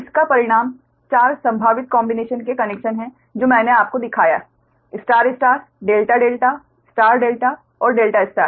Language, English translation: Hindi, this result in four possible combination of connections that i showed you: the star star, delta, delta star delta and delta star right, as is shown by your figure three